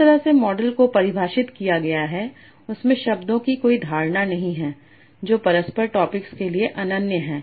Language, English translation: Hindi, So the way the model is defined there is no notion of the words being mutually exclusive to the topics